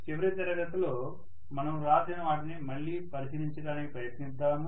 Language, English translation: Telugu, Let us try to again take a look at what we wrote in the last class